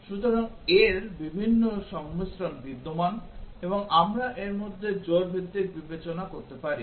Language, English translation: Bengali, So, various combinations of these exist and we can consider pair wise among these